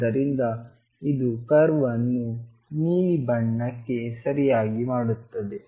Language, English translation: Kannada, So, this will make it make the curve to be this blue one right